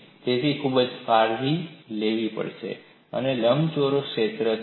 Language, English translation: Gujarati, So, you will have to be very careful about that, this is the rectangular area